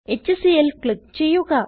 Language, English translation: Malayalam, Click on HCl